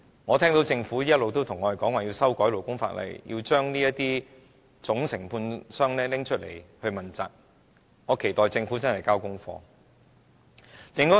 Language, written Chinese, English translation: Cantonese, 我聽到政府一直對我們說要修改勞工法例，要這些總承建商問責，我期待政府認真交功課。, I can hear the Government say to us all along that the labour laws have to be amended to make principal contractors accountable so I expect the Government to hand in its homework earnestly